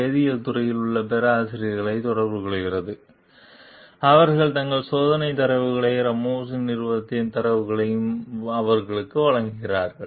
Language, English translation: Tamil, He contacts the professors in the chemistry department, who furnish him with data from their tests, as well as with data from Ramos s company